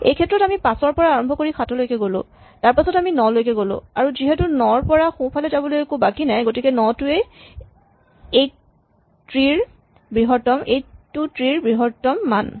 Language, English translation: Assamese, In this case we start at 5, we go down to 7, then we go down to 9 and since there is no further right path from 9, 9 must be the maximum value in this tree